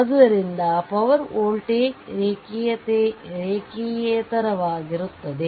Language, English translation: Kannada, So, power voltage is non linear